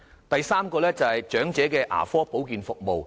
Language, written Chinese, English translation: Cantonese, 第三，是長者牙科保健服務。, Third it is about elderly dental care services